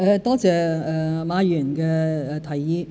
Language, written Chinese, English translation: Cantonese, 多謝馬議員的提議。, I thank Mr MA for his suggestion